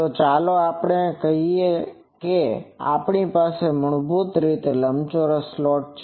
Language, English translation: Gujarati, So, let us say that we have a rectangular slot basically